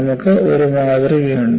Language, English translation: Malayalam, You have a model